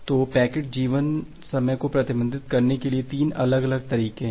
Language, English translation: Hindi, So, there are 3 different ways to restrict the packet life time